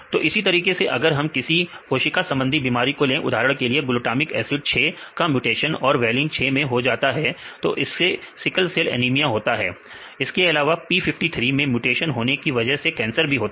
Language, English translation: Hindi, So, like this we have the cell diseases for example, glutamic 6 to valine sickle cell anemia hemoglobin take p53 there are many mutations then which can cancer